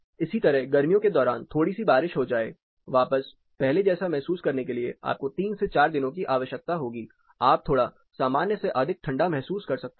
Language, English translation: Hindi, Similarly, a short spell of rain during summer; to bounce back to the regular adjustment you will need 3 to 4 days, you may feel slightly more hotter or warmer, you know cooler then you actually would have